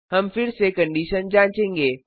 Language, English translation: Hindi, We check the condition again